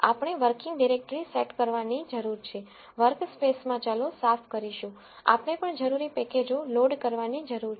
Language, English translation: Gujarati, We need to set the working directory, clear the variables in the workspace, we also need to load the required packages